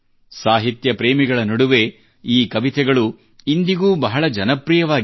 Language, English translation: Kannada, These poems are still very popular among literature lovers